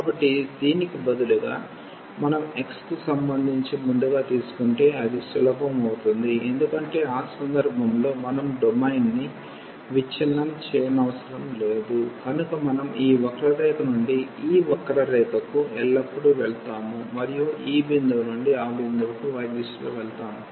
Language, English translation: Telugu, So, instead of this if we take first with respect to x that will be easier, because we do not have to break the domain in that case we will go from this curve to this curve always and in the direction of y from this point to that point